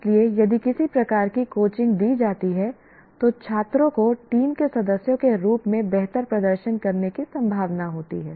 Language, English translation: Hindi, So some kind of coaching if it is given, students are likely to perform better as team members